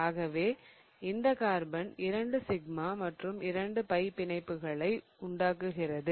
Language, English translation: Tamil, So, in fact, it is forming 2 sigma bonds and 2 pi bonds